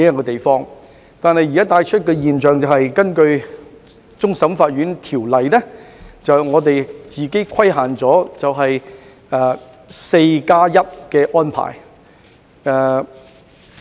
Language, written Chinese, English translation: Cantonese, 但是，現時的現象是，我們根據《香港終審法院條例》自我規限，實施 "4+1" 的安排。, Yet at present by virtue of the Hong Kong Court of Final Appeal Ordinance CFA binds itself with the 41 arrangement